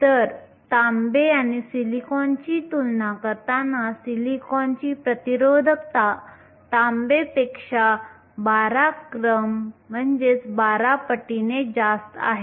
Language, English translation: Marathi, So, comparing copper and silicon, silicon has a resistivity 12 orders higher than copper